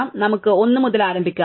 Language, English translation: Malayalam, So, let us start at 1, right